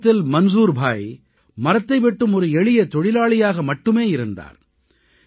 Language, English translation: Tamil, Earlier, Manzoor bhai was a simple workman involved in woodcutting